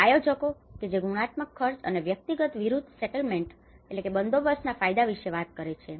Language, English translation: Gujarati, And planners which talk about the qualitative cost and the benefits of individual versus settlement